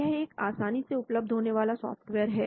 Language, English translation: Hindi, This is freely available software